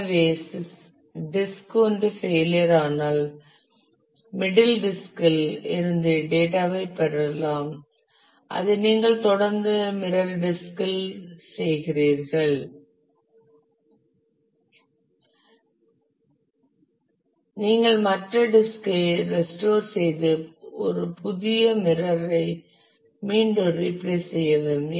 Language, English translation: Tamil, So, if one of the disk fail you get the data from the middle disk you continue to do that from the mirror disk you restore the other disk you may be replace and put a new one mirror it again and